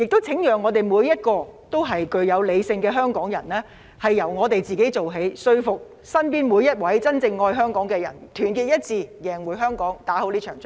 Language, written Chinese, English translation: Cantonese, 請每一位理性的香港人由自己做起，說服身邊每一位真正愛香港的人，團結一致贏回香港，打勝這場仗。, I urge all rational Hong Kong people to start with themselves and persuade everyone around them who truly loves Hong Kong to unite together win back Hong Kong and this battle as well